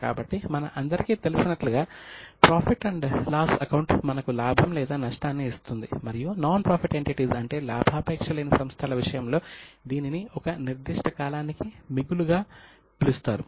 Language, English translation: Telugu, So, as you all know, profit and loss account is a statement which gives you profit or loss and in case of non profit entities it is called as a surplus for a particular period